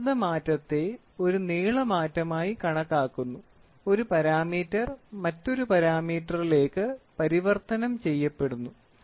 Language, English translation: Malayalam, We measure the pressure change into a length change; one parameter is getting converted into other parameter